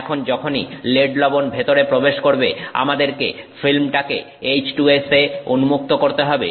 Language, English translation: Bengali, Now once the lead salt is in we have to expose the films to H2S